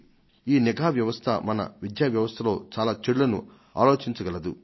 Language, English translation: Telugu, Vigilance can be of help to reduce many shortcomings in the education system